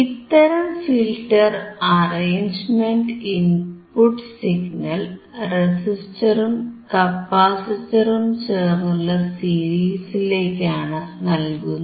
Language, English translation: Malayalam, In this type of filter arrangement, the input signal Vin input signal is applied to the series combination of both resistors and capacitors together